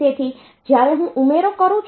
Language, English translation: Gujarati, So, when I am doing addition